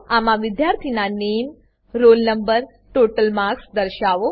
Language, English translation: Gujarati, *In this, display the name, roll no, total marks of the student